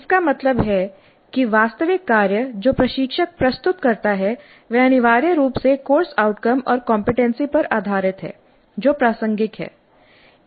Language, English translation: Hindi, That means the actual task that the instructor presents is essentially based on the COO or the competency that is relevant